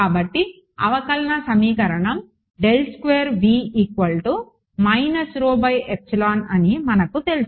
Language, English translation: Telugu, So, I know that the differential equation is this